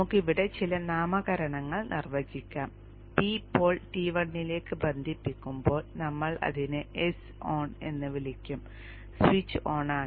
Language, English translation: Malayalam, Let us define some nomenclature here when the pole P is connected to T1 we will call it as S on